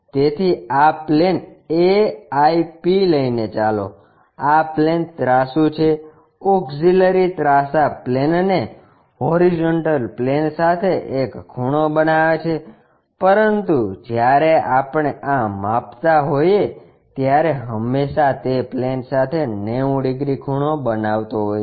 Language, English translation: Gujarati, So, this plane AIP let us call this inclined plane, Auxiliary Inclined Plane making an angle with the horizontal plane, but when we are measuring this is always be 90 degrees with the vertical plane